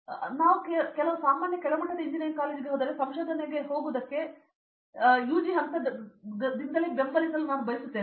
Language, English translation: Kannada, So, if I go to some normal low level engineering college I want to support like UG levels to go for research also not only get place and go for job